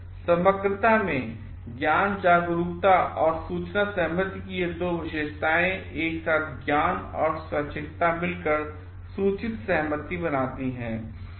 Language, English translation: Hindi, In totality these two characteristics of knowledge awareness and informed consent together makes the knowledge and voluntariness together makes the informed consent